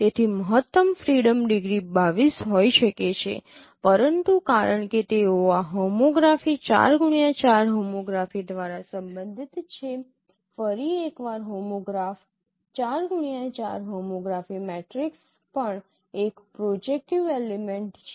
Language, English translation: Gujarati, But since they are related by this homography 4 cross 4 homography, once again homograph 4 cross 4 homography matrix is also a projective element